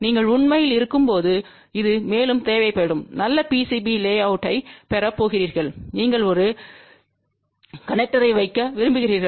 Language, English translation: Tamil, This will be required more when you are actually going to have a physical PCB layout and you want to put a connector